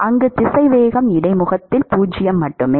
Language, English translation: Tamil, At the boundary at the interface it is 0